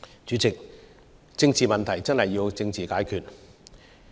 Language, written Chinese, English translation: Cantonese, 主席，政治問題真的要政治解決。, President political issues should be solved by political means